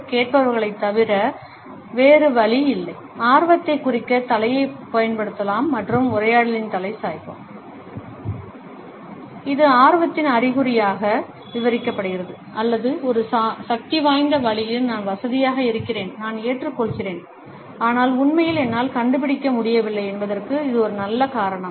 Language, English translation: Tamil, Besides the listeners, not there is another way, we can use the head to indicate interest and in conversation the head tilt It is described as a sign of interest or says in a powerful way I am comfortable, I am receptive, but a good reason why actually I could not find